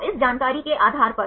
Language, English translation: Hindi, So, based on this information